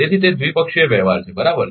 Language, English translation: Gujarati, So, it is a bilateral transaction right